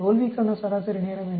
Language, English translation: Tamil, What is the mean time to failure